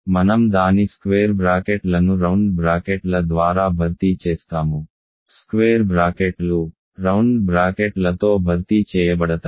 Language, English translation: Telugu, It is simply I replace its square brackets by round brackets right, square brackets are replaced by round brackets